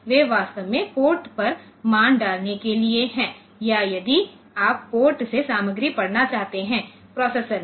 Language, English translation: Hindi, So, they are actually for putting the values onto the ports or if you want to read the content from the port onto 8 to want to the processor